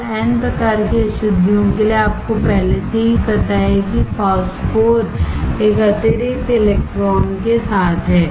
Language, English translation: Hindi, So, for n type impurities you already know example is phosphor, with one excess electron